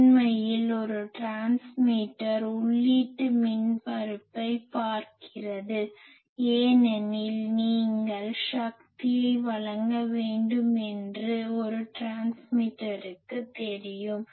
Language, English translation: Tamil, And actually a transmitter looks at the input impedance because a transmitter knows that you will have to deliver the power